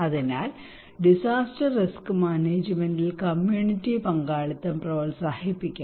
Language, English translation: Malayalam, So, therefore, we should promote community participation in disaster risk management